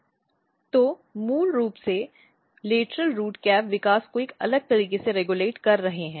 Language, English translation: Hindi, So, basically they are regulating lateral root cap development in a different manner